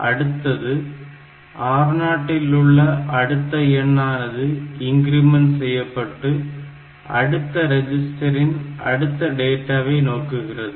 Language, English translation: Tamil, So, that it points to the next register next number increment R0 between point to the next register next data